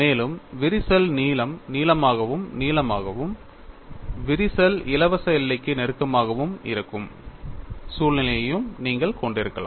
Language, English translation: Tamil, And you could also have a situation, where the crack length becomes longer and longer and the crack becomes closer to the free boundary